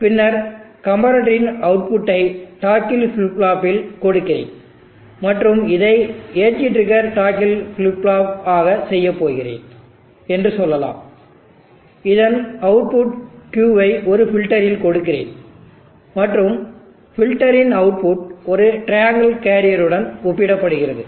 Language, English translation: Tamil, And then the output of the comparator let me give it to the toggle flip flop, in the toggle flip flop and let us say I am going to do edge triggered toggle flip flop the output Q is a filter, and the output filter is compared with a triangle carrier